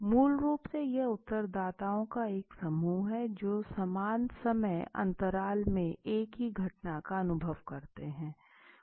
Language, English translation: Hindi, Basically if you see it is a group of respondents who experience the same event in the same time interval